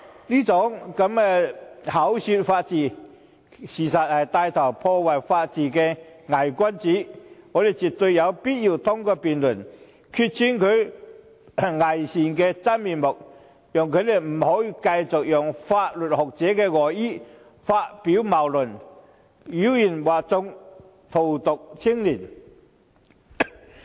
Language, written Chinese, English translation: Cantonese, 這種口說法治，實則牽頭破壞法治的偽君子，我們絕對有必要通過辯論來拆穿他偽善的假面具，讓他不能繼續利用法律學者的外衣發表謬論，妖言惑眾，荼毒青年人。, For such a hypocrite who talks about rule of law but in reality takes the lead to destroy it it is absolutely necessary for us to expose his hypocritical disguise through this debate so that he can no longer present his fallacies dressed up as a jurisprudent to mislead the public and poison young peoples minds